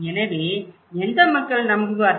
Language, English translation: Tamil, So, which one people will believe